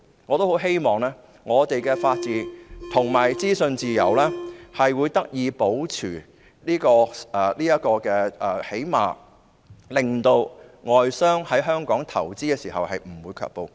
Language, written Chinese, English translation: Cantonese, 我很希望本港的法治和資訊自由得以保持，至少令外商不會對在香港投資卻步。, I hope the rule of law and freedom of information in Hong Kong could be maintained which will at least not deter foreign investors from investing in Hong Kong